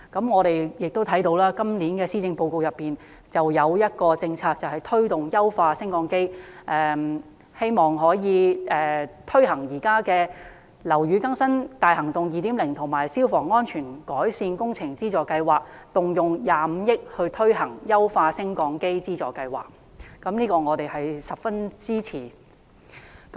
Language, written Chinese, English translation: Cantonese, 我們亦看到，今年的施政報告中有一項政策推動優化升降機，參考現時"樓宇更新大行動 2.0" 以及"消防安全改善工程資助計劃"，動用25億元推行"優化升降機資助計劃"，我們表示十分支持。, We can see a policy in the Policy Address this year for the enhancement of lifts . Modelling on the Operation Building Bright 2.0 Scheme and the Fire Safety Improvement Works Subsidy Scheme the Government will allocate 2.5 billion to launch the Lift Modernisation Subsidy Scheme